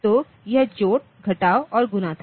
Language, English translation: Hindi, So, multi this was addition, subtraction and multiplication